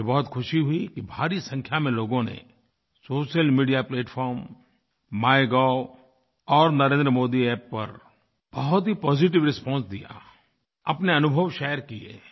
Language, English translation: Hindi, I am very glad that a large number of people gave positive responses on social media platform, MyGov and the Narendra Modi App and shared their experiences